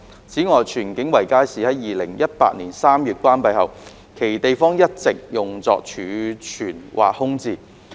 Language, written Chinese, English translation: Cantonese, 此外，荃景圍街市在2018年3月關閉後，其地方一直用作儲物或空置。, Moreover the spaces in Tsuen King Circuit Market which was closed in March 2018 have henceforth been used as storage or left vacant